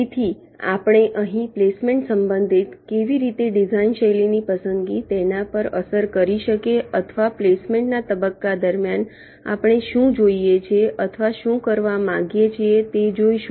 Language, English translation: Gujarati, so here we shall see that with respective placement, how the choice of the design style can impact or can can effect exactly what we want to do, or you you what we intend to do during the placement phase